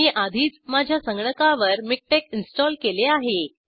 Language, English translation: Marathi, I have already installed MikTeX on my computer